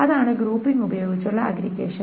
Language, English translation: Malayalam, So that's the aggregation with grouping